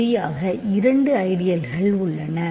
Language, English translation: Tamil, There are exactly two ideals right